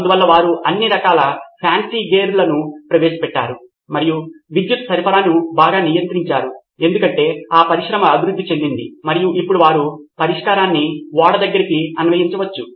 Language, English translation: Telugu, So they introduced all sorts of fancy gear and control the power supply much better because that industry had matured and now they could apply this solution back on to a ship